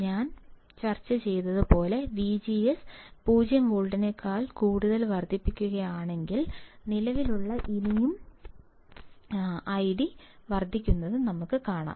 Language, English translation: Malayalam, If I increase V G S greater than 0 volt like we discussed, we can see the current still increasing